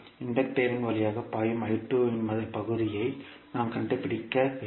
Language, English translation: Tamil, We have to find out the portion of I2 flowing through the Inductor